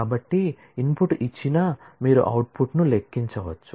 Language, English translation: Telugu, So, that given the input, you can compute the output